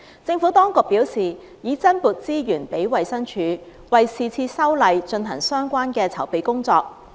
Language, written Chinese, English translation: Cantonese, 政府當局表示，已增撥資源給衞生署，為是次修例進行相關的籌備工作。, The Administration advised that additional resources had been allocated to DH to carry out relevant preparatory work for the current legislative exercise